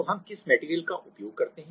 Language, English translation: Hindi, So, what are the material we use